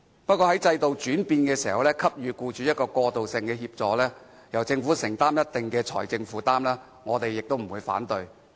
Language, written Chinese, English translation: Cantonese, 不過，在制度轉變時給予僱主過渡性協助，由政府作出一定的財政承擔，我們不會反對。, Yet during the change of the system we do not oppose offering interim assistance to employers and the making of financial commitment by the Government